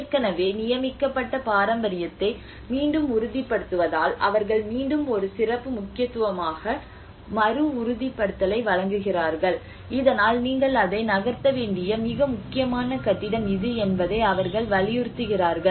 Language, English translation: Tamil, And also the reaffirmation of already designated heritage so how they are giving a reaffirmation as a special importance on it again so that they emphasise that this is the most important building you need to keep that on the move as well